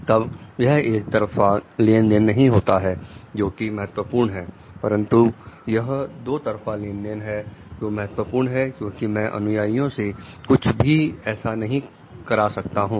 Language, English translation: Hindi, Then it is not only that one way transaction which is important, but it is a two way transaction which is also important because, I cannot expect something from the followers